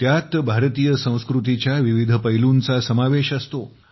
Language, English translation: Marathi, It includes myriad shades of Indian culture